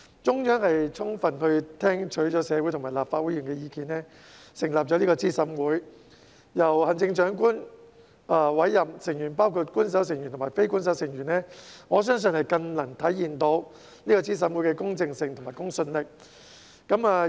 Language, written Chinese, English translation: Cantonese, 中央充分聽取社會及立法會議員的意見，成立資審會，由行政長官委任，成員包括官守成員及非官守成員，我相信更能體現資審會的公正性和公信力。, The Central Authorities have carefully listened to the views of the community and Members of the Legislative Council and established CERC which is comprised of official and non - official members to be appointed by the Chief Executive . This I believe can better reflect the impartiality and credibility of CERC